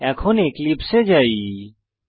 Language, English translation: Bengali, So let us switch to the eclipse